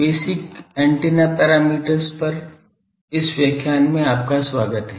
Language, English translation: Hindi, Welcome to this lecture on basic antenna parameters